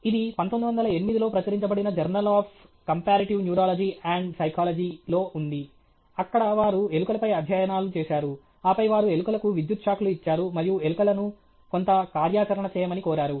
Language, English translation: Telugu, This is Journal of Comparative Neurology and Psychology, published in 1908, where they did studies on rats, and then they give electric shocks to rats, and ask the rats to do some activity